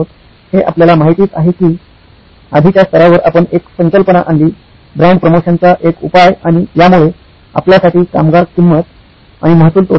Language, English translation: Marathi, That, you know even at the earlier level we introduced a concept, a solution of brand promotion and that led to labour cost, revenue loss for you